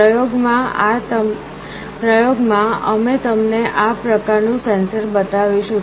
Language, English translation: Gujarati, In the experiment we will be showing you this kind of a sensor